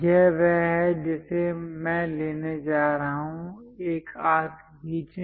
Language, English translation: Hindi, This is the one what I am going to pick; draw an arc